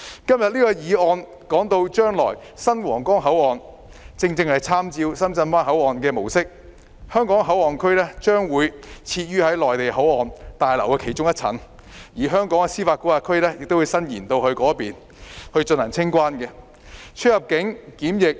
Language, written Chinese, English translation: Cantonese, 今天這項議案提到將來的新皇崗口岸正是參照深圳灣口岸模式，香港口岸區將設於內地口岸旅檢大樓的其中一層，而香港的司法管轄區亦會延伸至該處，以進行清關、出入境及檢疫安排。, The new Huanggang Port mentioned in this Motion will make reference to the Shenzhen Bay Port model in the future with the Hong Kong Port Area HKPA being located on a particular floor of the passenger clearance building of the Mainland Port Area and Hong Kongs jurisdiction being extended there for customs immigration and quarantine CIQ procedures